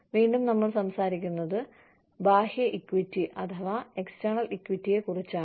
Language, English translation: Malayalam, Again, we are talking about external equity